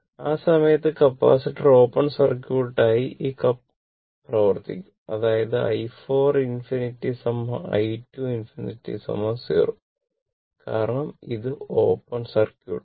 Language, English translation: Malayalam, At that time, this capacitor will act as open circuit and this capacitor will act as open circuit; that means, i 4 infinity is equal to i 2 infinity will be 0